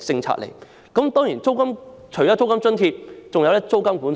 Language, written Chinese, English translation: Cantonese, 除了租金津貼之外，當地亦設有租金管制。, Apart from providing a rental allowance rent control is also implemented there